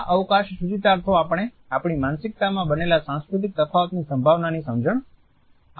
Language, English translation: Gujarati, These spatial connotations alert us to the possibility of cultural differences which are in built in our psyche